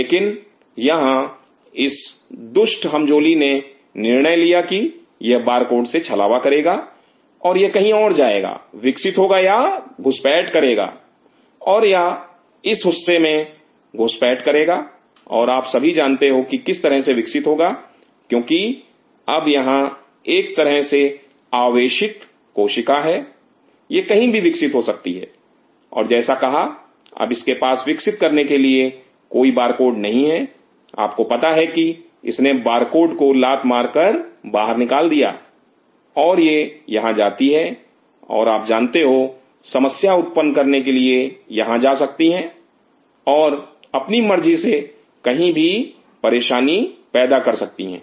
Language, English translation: Hindi, But here this rogue fellow decided that it will deceive the barcode and it will go anywhere and it will is going to grow it will invade may it may invade this part and you know it will grow like this because it is now more of a suspended cell it can grow anywhere and said it does not have the anymore the barcode to grow it has you know kicked out it is barcode, it goes here and you know you need create trouble it may go here and create trouble wherever it decides